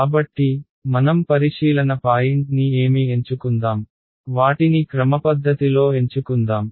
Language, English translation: Telugu, So, what we will do is let us choose our the observation point let us choose them systematically